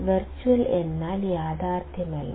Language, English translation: Malayalam, Virtual means not real